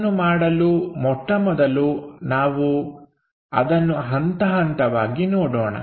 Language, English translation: Kannada, So, to do that, first of all let us look at step by step